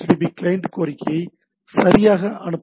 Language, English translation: Tamil, Client is the sending a HTTP client request right